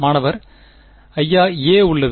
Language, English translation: Tamil, Sir, there is a